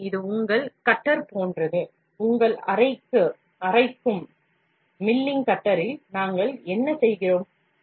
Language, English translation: Tamil, So, it is just like your cutter, in your milling cutter what we do